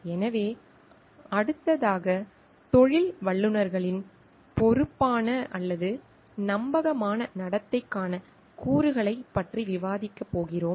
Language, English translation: Tamil, So, next we are going to discuss about elements to responsible or trustworthy behaviour in professionals